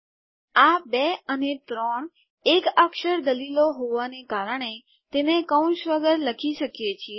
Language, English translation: Gujarati, Because these 2 and 3 are single character arguments its possible to write them without braces